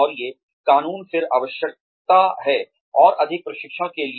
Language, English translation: Hindi, And, these laws, then mandates the need, for more training